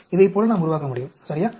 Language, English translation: Tamil, Like that we can build up, right